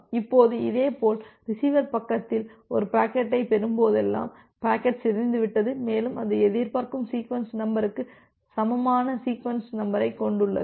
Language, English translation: Tamil, Now, similarly at the receiver side the receiver side whenever it is receiving a packet the packet is not corrupted and it has the sequence number which is equal to the expected sequence number